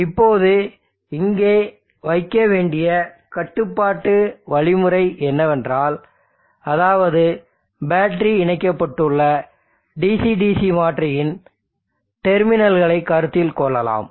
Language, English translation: Tamil, Now what is the control algorithm that you need to put in here, let us consider this boundary here, the terminals of the DC DC converter to which the battery is connected